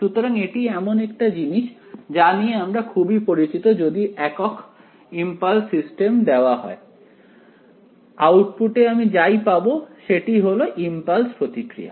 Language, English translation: Bengali, So, this is something very very familiar right given unit impulse to the system whatever I get as the output is my impulse response